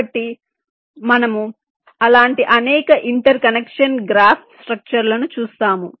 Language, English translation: Telugu, so we shall see several such interconnection graph structure